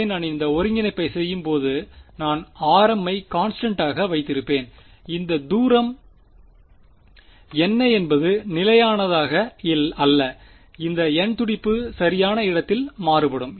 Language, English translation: Tamil, So, when I am doing this integration I am r m is being held constant this distance is what is varying over where over this n th pulse correct